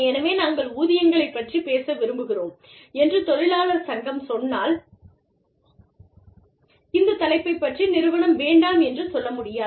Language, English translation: Tamil, So, if the labor union says, that we want to talk about wages, then this is one topic, that the organization cannot say, no to